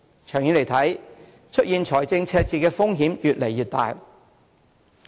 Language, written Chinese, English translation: Cantonese, 長遠來看，出現財政赤字的風險越來越大。, The risk of running into fiscal deficits in the long run is getting bigger